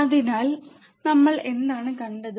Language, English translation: Malayalam, So, what what we have seen